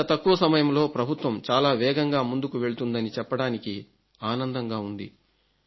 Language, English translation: Telugu, I am happy that in such a short span of time, it has just been 15 days but the government is moving at a very fast pace